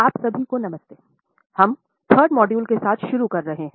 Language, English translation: Hindi, We are starting with the third module